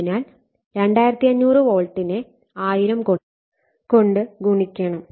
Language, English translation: Malayalam, So, 2500 volt multiplied / 1000